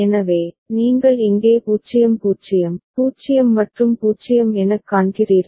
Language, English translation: Tamil, So, that is what you see over here as 0 0, 0 and 0